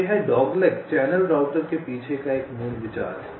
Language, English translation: Hindi, so this is the basic idea behind the dogleg channel router